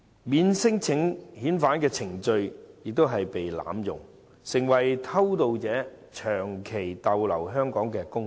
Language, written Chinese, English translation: Cantonese, 免遣返聲請程序已被濫用，成為偷渡者長期逗留香港的工具。, The process of non - refoulement claims has been abused and used as an instrument for illegal entrants to seek a prolonged stay in Hong Kong